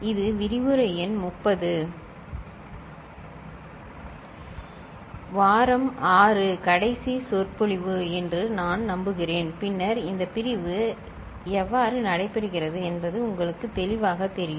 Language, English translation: Tamil, I believe it is lecture number 30 ok week 6 last lecture, then it will be clearer to you how this division takes place